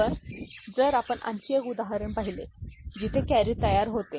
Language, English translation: Marathi, So, if we look at another example where carry is getting produced